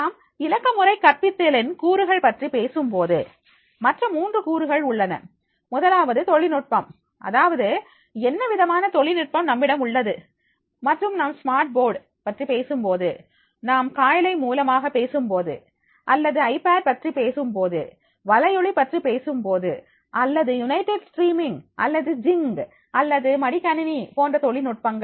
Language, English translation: Tamil, If we talk about the elements of the digital pedagogy then the other three elements are there, first is that is a technology, that is what sort of the technology you are having and when you talk about the Smart board, when you are talking about through Skype or you are talking about the iPad are the, when you are talking about the YouTube or United streaming or the Jing, or the laptops